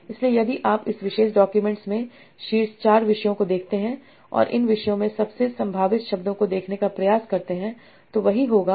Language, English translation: Hindi, So if you see the top 4 topics in this particular document and try to see the most probable words in these topics